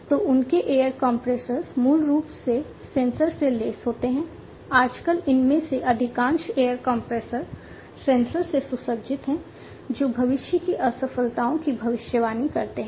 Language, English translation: Hindi, So, their air compressors are basically sensor equipped, nowadays, most many of these air compressors are sensor equipped, which is in the prediction of future failures